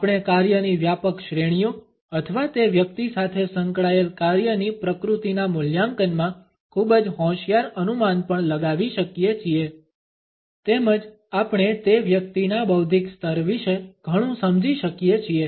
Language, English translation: Gujarati, We can also make a very shrewd guess in assessment of the broad categories of work or the nature of work with which that individual is associated, as well as we can find out a lot about the intellectual level of that person